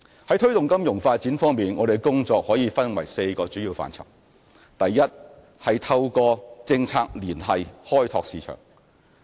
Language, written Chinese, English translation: Cantonese, 在推動金融發展方面，我們的工作可分為4個主要範疇：第一，透過政策聯繫開拓市場。, Our work in promoting financial development can be classified into the following four major areas Firstly the promotion of market development through policy liaison